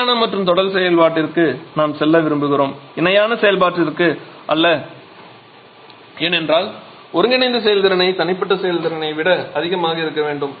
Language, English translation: Tamil, And that is the reason we want to go for parallel series operation and not parallel operation because we want to have the combined efficiency to be higher than the individual efficiencies